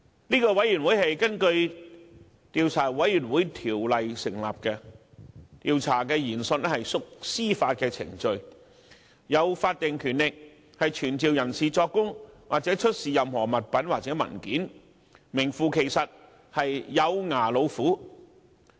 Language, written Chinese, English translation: Cantonese, 這是根據《調查委員會條例》成立的調查委員會，調查研訊屬司法程序，並具有法定權力傳召人士作供，或出示任何物品或文件，是名副其實的"有牙老虎"。, The Commission of Inquiry is set up under the Commissions of Inquiry Ordinance and the inquiry is a judicial proceeding . Also it has the statutory power to summon witnesses to give evidence or to produce any item or document and is therefore a genuine tiger with teeth